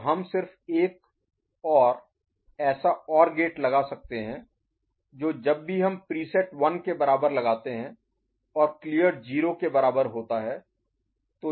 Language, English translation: Hindi, So, we can just put another such OR gate right and whenever we put preset is equal to 1 and a clear is equal to 0